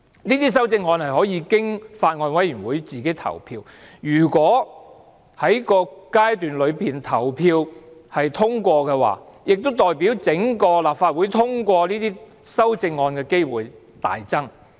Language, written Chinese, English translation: Cantonese, 這些修正案可以經法案委員會自行投票，如果投票通過，亦代表整個立法會通過這些修正案的機會大增。, If a CSA is passed in a Bills Committee its likelihood of being passed in the committee of the whole Council is increased